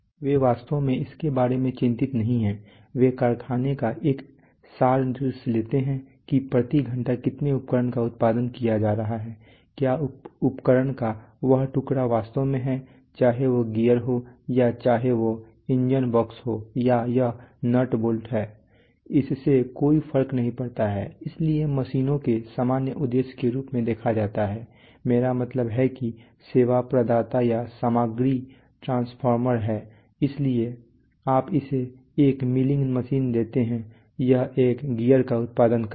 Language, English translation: Hindi, They do not they are not really concerned about, their they take an abstract view of the factory how many pieces of equipment are being produced per hour, whether that piece of equipment is actually, whether it is a gear or whether it is an engine box or whether it is nuts and bolts it does not matter, so machines are looked at as general purpose are I mean service providers or material transformers, so you give it a you give a milling machine a blank it will produce a gear